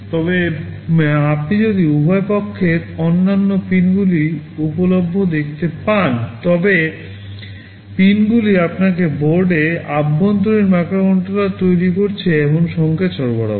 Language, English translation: Bengali, But, if you see the other pins available on the two sides, the pins provide you with the signals that the internal microcontroller on board is generating